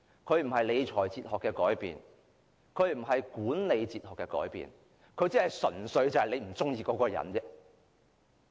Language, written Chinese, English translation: Cantonese, 這並非理財哲學的改變，亦不是管理哲學的改變，他只是純粹不喜歡一個人。, This is not a change in the fiscal management philosophy nor a change in the management philosophy; he makes the change simply because he dislikes someone